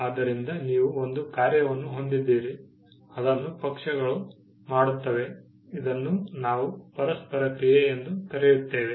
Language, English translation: Kannada, So, you have an act, which is done by parties, which is what we refer to as interaction